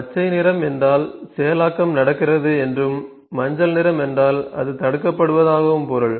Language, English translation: Tamil, Green colour means processing is happening and yellow colour means it is being blocked